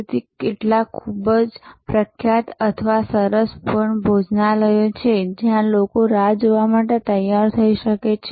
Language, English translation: Gujarati, So, there are some very famous or fine dining restaurants, where people may be prepared to wait